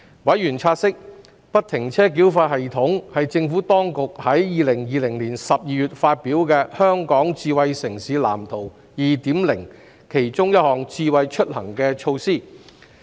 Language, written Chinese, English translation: Cantonese, 委員察悉，不停車繳費系統是政府當局於2020年12月發表的《香港智慧城市藍圖 2.0》的其中一項"智慧出行"措施。, Members have noted that FFTS is one of the Smart Mobility initiatives in the Smart City Blueprint for Hong Kong 2.0 published by the Administration in December 2020